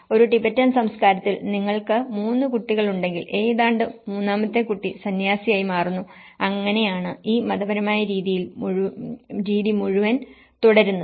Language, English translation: Malayalam, In a Tibetan culture, if you have 3 children, almost the third child becomes a monk and that is how this whole religious pattern is continued